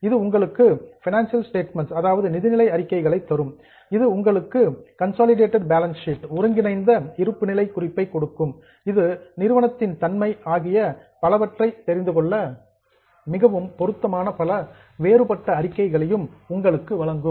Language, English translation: Tamil, It will give you financial statements, it will give you consolidated balance sheet, it will also give you various other statements which are very much relevant to understand the company, the nature of company and so on